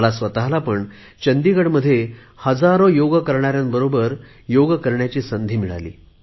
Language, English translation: Marathi, I also got an opportunity to perform Yoga in Chandigarh amidst thousands of Yoga lovers